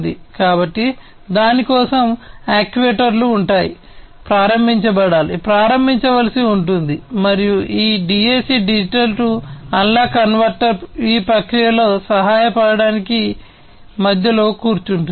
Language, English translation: Telugu, So, for that the actuators will be, you know, will have to be invoked, will have to be started and this DAC Digital to Analog Converter sits in between to help in the process